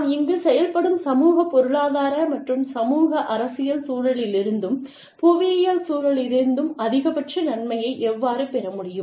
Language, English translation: Tamil, And, how can we take the maximum benefit, from the socio economic, and socio political environment, and the geographical environment, that we operate here